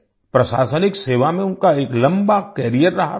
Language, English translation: Hindi, He had a long career in the administrative service